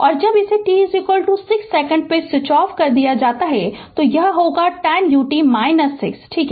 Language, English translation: Hindi, And when it is switch off switched off at t is equal to 6 second it will be minus 10 u t minus 6, right